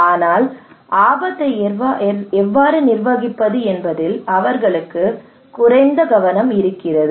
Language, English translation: Tamil, But they have less focus on how to manage the risk